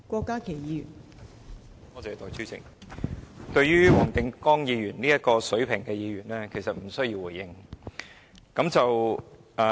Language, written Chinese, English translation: Cantonese, 代理主席，對於黃定光議員這種水平的議員，我其實無需多作回應。, Deputy President for Members like Mr WONG Ting - kwong with such a standard I actually do not need to respond to what he said